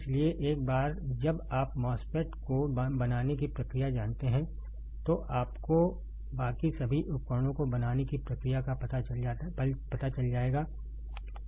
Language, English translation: Hindi, So, for once you know the process to fabricate the MOSFET, you will know the process for fabricating rest of the devices all right